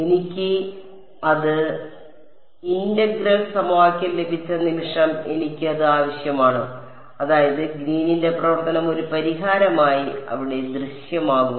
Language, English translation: Malayalam, The moment I got it integral equation I need it I mean Green’s function will appear there as a as a solution ok